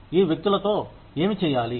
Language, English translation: Telugu, What do we do, with these people